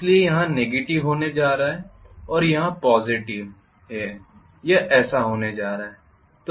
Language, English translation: Hindi, So I am going to have negative here and positive here this is how it is going to be